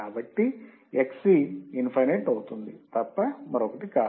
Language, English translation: Telugu, So, X would be Xc, would be nothing but infinite